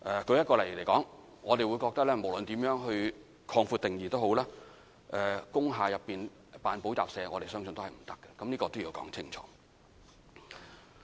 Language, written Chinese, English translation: Cantonese, 舉例來說，我們認為無論如何擴闊定義，在工廈內營辦補習社相信也是不可以的，這點需要說清楚。, For instance it is to us highly unlikely that the offering of tuition classes will be allowed in an industrial building no matter how the definition is broadened . We have to make this point clear